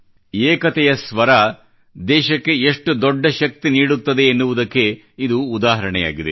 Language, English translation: Kannada, It is an example of how the voice of unison can bestow strength upon our country